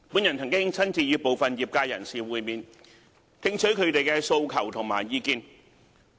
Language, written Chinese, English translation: Cantonese, 我曾親自與部分業界人士會面，聽取他們的訴求和意見。, I have personally met with some trade practitioners and listen to their aspirations and views